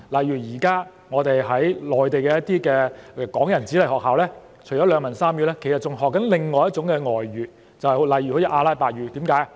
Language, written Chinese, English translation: Cantonese, 現時內地的港人子弟在學校除了學習兩文三語，其實還在學習另外一種外語，例如阿拉伯語，為甚麼？, Hong Kong children studying in the Mainland can learn a third foreign language eg . Arabic in addition to being biliterate and trilingual . Why?